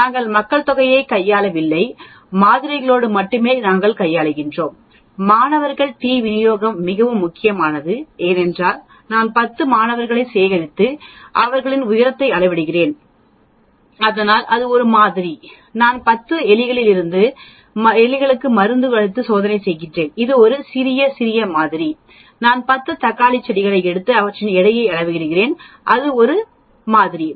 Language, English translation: Tamil, We are dealing only with samples we are not dealing with the population so obviously, student T distribution becomes very important because whatever I do I am collecting 10 students and measuring their height, so that is a sample, I am testing drug on 20 rats that is a small, small sample, I am taking 10 tomato plants and measuring their weight, that is a sample